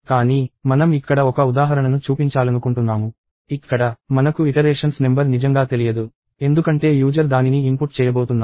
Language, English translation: Telugu, But, I want to show an example here; where, we really do not know the number of iterations, because the user is going to input it